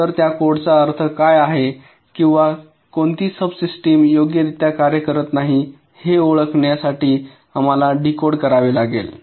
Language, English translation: Marathi, so we will have to decode what that code means, to identify what or which sub system is not working correctly